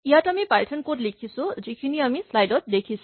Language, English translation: Assamese, Here, we have written the Python code that we saw in the slide in a file